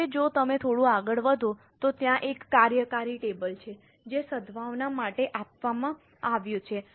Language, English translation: Gujarati, Now if you go little ahead, there is a working table which is given for the goodwill